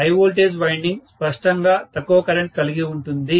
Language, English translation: Telugu, High voltage winding will have lower current obviously